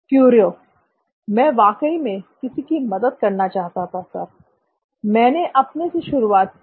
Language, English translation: Hindi, I really wanted to help someone sir, I started with me